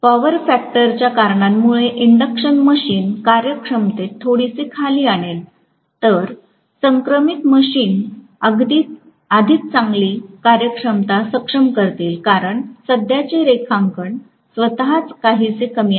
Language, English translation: Marathi, So induction machine will bring down the efficiency quite a bit because of the power factor considerations whereas synchronous machines will be able to have a better efficiency because of the fact that the current drawn itself is somewhat lower right